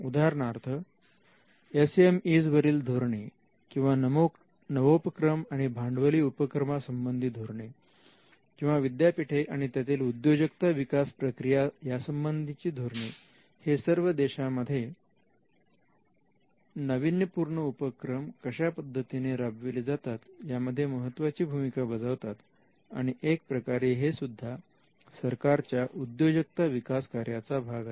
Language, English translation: Marathi, For instance, the policy that it has on SME’s or on startups and the policies it has on venture capitalist or the policies the state has on universities and the entrepreneurial activity there, these can also play a role on how innovation happens in a country and this is again a part of the entrepreneurial function of the state